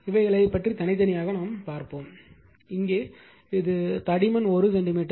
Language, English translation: Tamil, Independently will see how things are and here this is your thickness of this is 1 centimeter